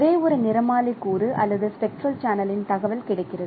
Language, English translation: Tamil, So, the information of only one spectral component or spectral channel that is available